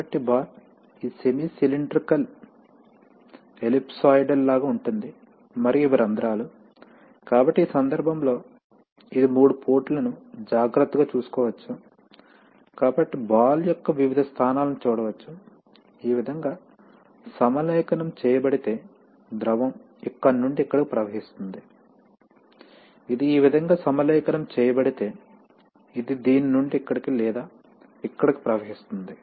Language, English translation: Telugu, So the ball is, you know like this semi cylindrical ellipsoidal and these are the holes, so in this case, this has, this can take care of three ports, so you can see that in various positions of the ball, if the ball is aligned like this then liquid can flow from here to here, if it is aligned this way it can flow from this to this or this to this